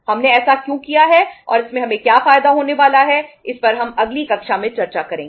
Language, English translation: Hindi, Why we have done that and what is the benefit we are going to reap out of it that we will discuss in the next class